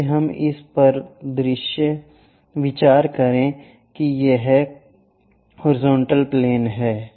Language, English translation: Hindi, Let us consider this is the horizontal plane